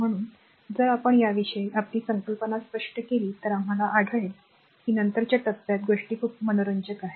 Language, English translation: Marathi, So, if you clear our concept about this you will find things are very interesting in the later stage right